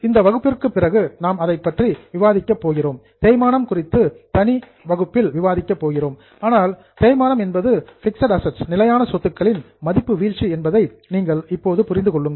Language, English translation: Tamil, After this session, we are going to discuss, we are going to have a separate session on depreciation, but as of now, you can understand that depreciation is a fall in the value of fixed assets